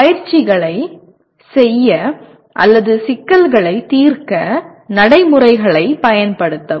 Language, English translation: Tamil, Use procedures to perform exercises or solve problems